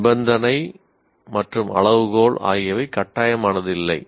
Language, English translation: Tamil, Condition and criterion are optional